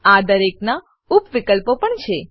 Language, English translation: Gujarati, Each of these have various sub options as well